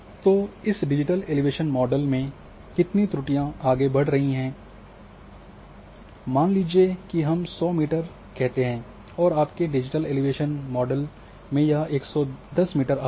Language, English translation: Hindi, So, how much error it is being carried suppose in case of digital elevation model a elevation suppose to we say hundred meters it is coming say in your digital elevation model it is coming hundred 10 meter